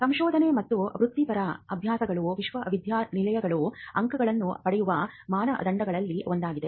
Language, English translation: Kannada, So, Research and Professional Practices is one of the criteria for which universities get points and which is considered into ranking